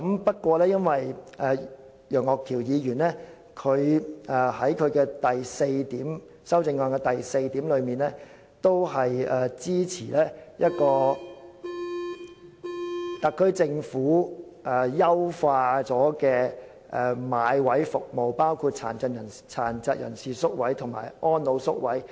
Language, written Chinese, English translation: Cantonese, 不過，楊岳橋議員在修正案第四點提到支持特區政府優化買位服務，包括殘疾人士院舍和安老院舍宿位。, But point 4 in Mr Alvin YEUNGs amendment expresses support for the Governments enhancement of its service on purchasing places from residential care homes including those for persons with disabilities and the elderly